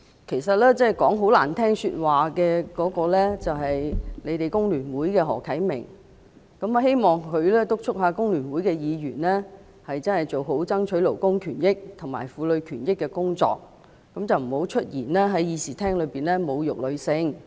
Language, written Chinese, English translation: Cantonese, 其實，把話說得很難聽的是她所屬的工聯會的何啟明議員，我希望她敦促工聯會議員做好爭取勞工權益和婦女權益的工作，不要在議事廳內出言侮辱女性。, Actually the one who uttered offensive words was Mr HO Kai - ming of The Hong Kong Federation of Trade Unions FTU to which she belongs . I hope she will urge Members from FTU to do a good job of fighting for labour rights and womens rights and refrain from saying anything to insult women in this Chamber